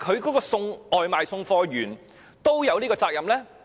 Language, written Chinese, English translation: Cantonese, 是否外賣員也有這種責任呢？, Does the deliverer have to shoulder this responsibility?